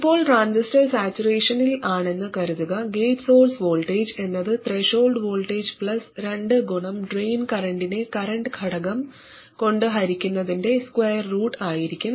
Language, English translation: Malayalam, Now assuming that the transistor is in saturation, the gate source voltage would be the threshold voltage plus square root of two times the drain current divided by the current factor